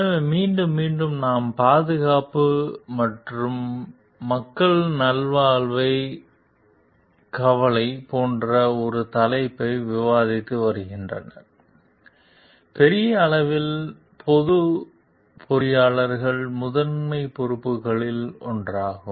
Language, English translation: Tamil, So, like repeatedly we have been discussing on this topic like safety and concern for the wellbeing of the like people at large, the public at large is one of the primary responsibility of engineers